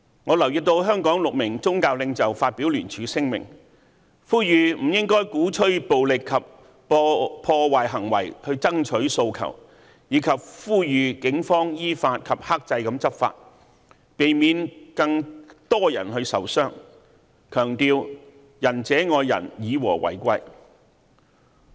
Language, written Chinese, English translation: Cantonese, 我留意到香港6名宗教領袖發表聯署聲明，呼籲不應鼓吹暴力及破壞行為爭取訴求，以及呼籲警方依法及克制地執法，避免更多人受傷，強調"仁者愛人，以和為貴"。, I note that leaders of Hong Kongs six major religious groups co - signed a statement and stressed that no one should propagate violent and destructive acts in the course of seeking the materialization of their aspirations . They also urged the Police to enforce the law according to the law with restraint so as to avoid more people being injured . They emphasized the benevolent person loves others and harmony is most precious